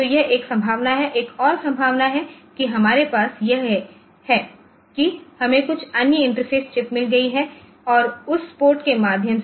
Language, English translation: Hindi, So, that is one possibility, another possibility that we have is that we have got some other interface chip and through say this is a port